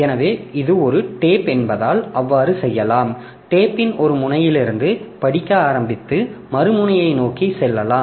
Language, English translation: Tamil, So, you can, so since this is a tape, so you can start reading from one end of the tape and go towards the other end